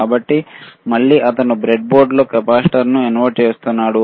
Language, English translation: Telugu, So, again he is inserting the capacitor in the breadboard, right